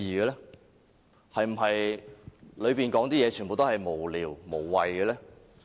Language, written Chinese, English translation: Cantonese, 內容是否全部都是無聊、無謂？, Are all the contents frivolous and senseless?